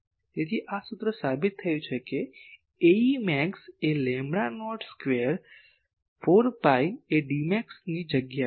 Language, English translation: Gujarati, So, this formula is proved that A e max is lambda not square 4 pi instead of D max we are calling it gain